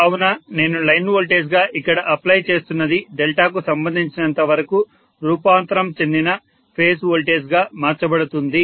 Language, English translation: Telugu, So what I apply as the line voltage which is actually here is converted into transformed phase voltage as far as delta is concerned